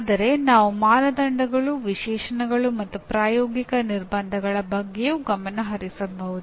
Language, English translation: Kannada, But we may also focus on Criteria and Specifications and Practical Constraints